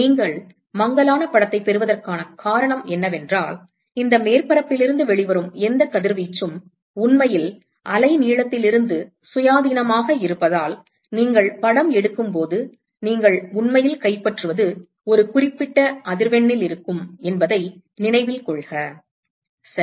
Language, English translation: Tamil, The reason why you get blurred image is because whatever radiation that comes out of this surface are actually independent of the wavelength, because note that when you are taking a picture what you are actually capturing is at a certain frequency right